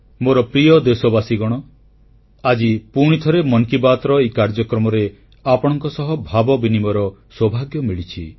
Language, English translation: Odia, My dear countrymen, I'm fortunate once again to be face to face with you in the 'Mann Ki Baat' programme